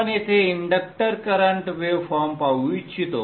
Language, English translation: Marathi, So we would like to see the inductor current waveform here